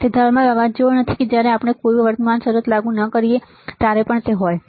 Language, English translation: Gujarati, So, it is not like thermal noise that it is there even when we do not apply any current right